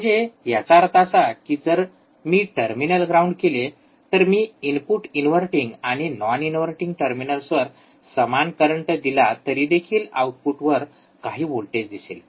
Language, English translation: Marathi, So that means, that if I ground by the terminals, I will see some voltage at the output, even when we apply similar currents to the input terminals inverting and non inverting terminals